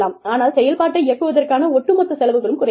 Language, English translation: Tamil, But, the overall cost of running the operation, goes down, and we manage